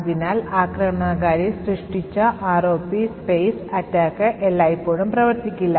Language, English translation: Malayalam, Therefore, the ROP space attack, which the attacker has created will not work all the time